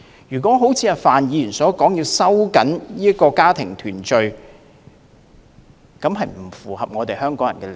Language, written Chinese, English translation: Cantonese, 如果一如范議員所建議收緊家庭團聚的配額，並不符合香港人的利益。, The tightening of the quota for family reunion as proposed by Mr Gary FAN is not in the interest of Hong Kong people